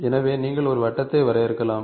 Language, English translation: Tamil, So, you can define a circle